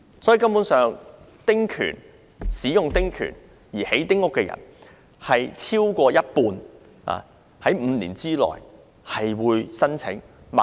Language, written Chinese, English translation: Cantonese, 由此可見，使用丁權興建丁屋的人，超過一半會在5年內申請轉讓。, It can thus be seen that people building small houses with their small house rights will apply for resale within five years